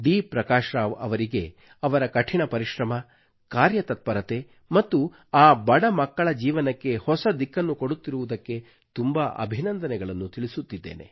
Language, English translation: Kannada, Prakash Rao for his hard work, his persistence and for providing a new direction to the lives of those poor children attending his school